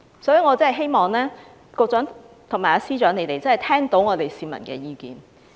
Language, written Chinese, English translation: Cantonese, 所以，我希望局長和司長會聆聽市民的意見。, Therefore I hope the Secretary and the Chief Secretary will listen to the peoples voice